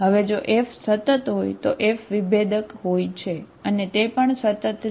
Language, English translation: Gujarati, Now if F is, F is continuous, F is differentiable and it is also continuous